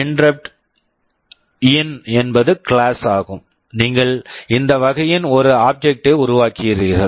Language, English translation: Tamil, InterruptIn is the class, you create an object of this type